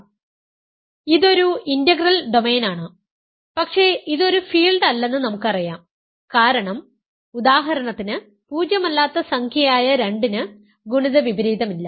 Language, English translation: Malayalam, So, this is an integral domain, but not a field right that we know it is not a field because for example, the integer 2 which is a non zero integer has no multiplicative inverse